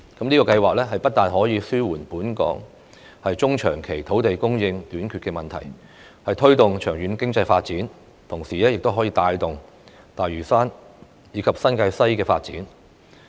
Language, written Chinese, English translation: Cantonese, 這個計劃不但可以紓緩本港中長期土地供應短缺的問題、推動長遠經濟發展，同時亦可帶動大嶼山及新界西的發展。, Not only can this project alleviate the shortage of land supply in Hong Kong in the medium to long term and promote economic development in the long run but it can also provide impetus for growth in Lantau Island and New Territories West